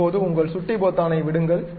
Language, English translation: Tamil, Now, release your mouse button